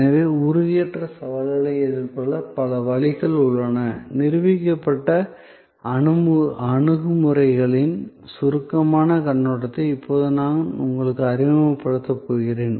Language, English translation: Tamil, So, there are number of ways of addressing the challenge of intangibility and I am now going to only introduce to you, a brief overview of those proven approaches